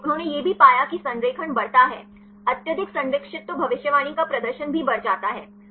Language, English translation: Hindi, So, also they found that the alignment grows; highly conserved then the prediction performance also increases